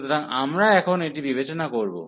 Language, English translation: Bengali, So, we will consider now this one